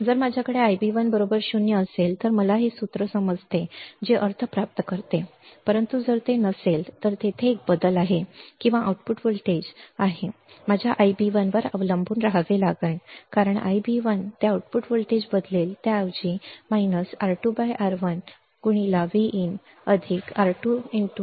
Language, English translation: Marathi, If I have I b 1 equals to 0, then I get this formula which makes sense, but if it is not then there is a change or there is the output voltage output voltage has to rely on my I b 1 because the I b 1, it will change the output voltage rather than it will be minus R 2 by R 1 into V in, it will be minus R 2 by R 1 into V in plus R 2 I b 1